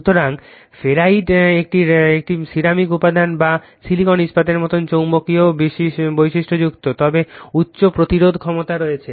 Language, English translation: Bengali, So, ferrite is a ceramic material having magnetic properties similar to silicon steel, but having high resistivity